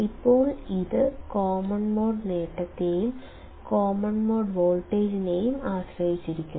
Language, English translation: Malayalam, Now it will depend on the common mode gain and the common mode voltage